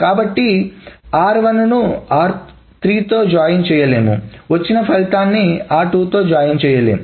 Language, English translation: Telugu, So, R1 cannot be joined with R3 and that cannot be joined with R2, etc